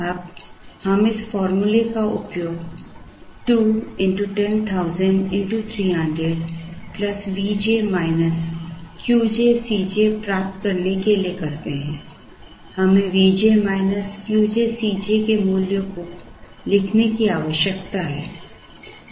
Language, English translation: Hindi, Now, we use this formula to get 2 into 10,000 into 300 plus now, we need to write the values of V j minus q j c j